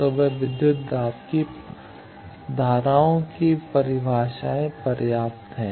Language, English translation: Hindi, So, that voltage and current definitions suffice